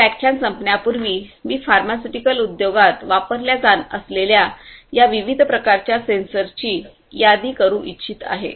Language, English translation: Marathi, Before I end, I would like to list these different types of sensors that we are going to use in the pharmaceutical industry